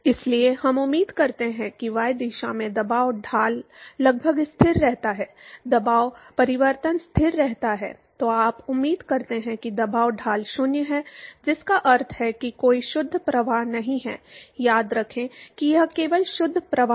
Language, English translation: Hindi, So, we expect that the pressure gradient in the y direction approximately remains constant, the pressure change remains constant then you expect that the pressure gradient is 0, which means that there is no net flow remembers that it is only a net flow